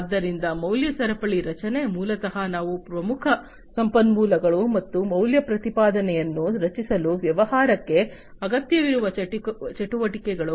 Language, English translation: Kannada, So, value chain structure basically these are the key resources and the activities that a business requires to create the value proposition